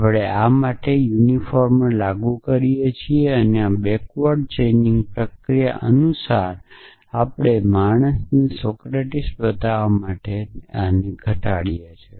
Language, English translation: Gujarati, So, we apply this unifier to this and according to this backward chaining process we reduce this to show man Socrates